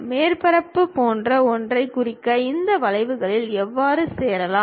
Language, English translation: Tamil, How to join these curves to represent something like a surface